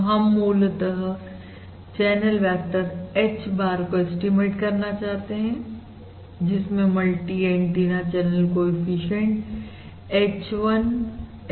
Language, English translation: Hindi, remember, the channel vector is nothing but basically the vector of the 2 multi antenna channel coefficients h, 1, h, 2